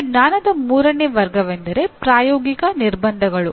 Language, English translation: Kannada, Now, the third category of knowledge is Practical Constraints